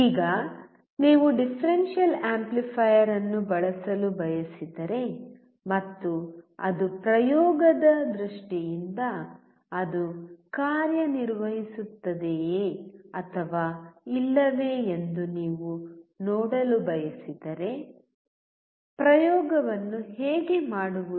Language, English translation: Kannada, Now, let us see that if you want to use the differential amplifier and you want to see whether it is working or not in case in terms of experiment, how to perform the experiment